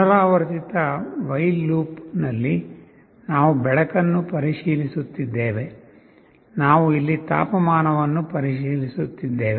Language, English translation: Kannada, In a repetitive while loop we are checking the light here, we are checking the temperature here